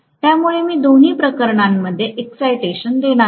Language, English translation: Marathi, So I am going to give excitation in both the cases